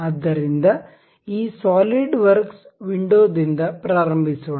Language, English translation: Kannada, So, let us begin with this SolidWorks window